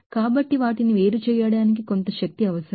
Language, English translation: Telugu, So, it takes some energy to separate them